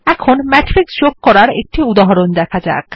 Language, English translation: Bengali, Now let us write an example for Matrix addition